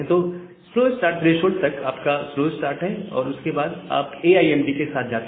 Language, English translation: Hindi, So, your slow start is up to the slow start threshold and after that, you are going with AIMD